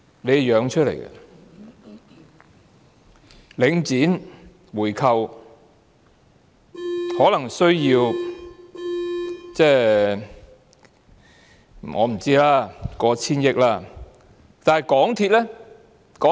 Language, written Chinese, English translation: Cantonese, 我估計，回購領展可能需要過千億元資金。, I estimate that buying back Link REIT may require funds amounting to over 100 billion